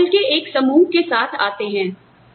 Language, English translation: Hindi, So, you come with a set of skills